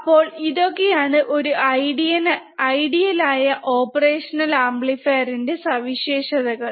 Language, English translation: Malayalam, So, these are the ideal characteristics of an ideal operational amplifier